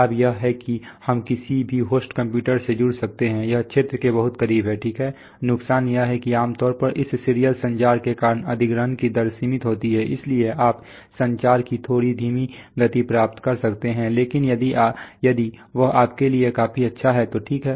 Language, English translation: Hindi, The advantages are that they can we can connect to any host computer, it is so close to the field, right, disadvantage is that generally the acquisition rates are limited because of this serial communication, so you can you get slightly slower rates of communication but if that is good enough for you it is, okay